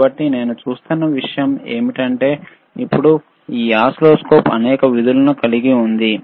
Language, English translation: Telugu, So, the point that I was making is, now this oscilloscope has several functions, with this oscilloscope also has it